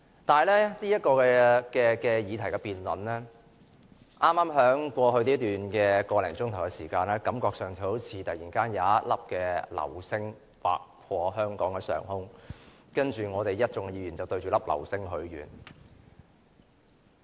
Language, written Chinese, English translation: Cantonese, 但是，這項議案辯論，在剛過去的個多小時內，感覺上好像突然有一顆流星劃過香港上空，然後一眾議員便向着這顆流星許願。, However the motion debate we have had over the past hour or so is somewhat like a meteor piercing the sky of Hong Kong attracting wishes from Members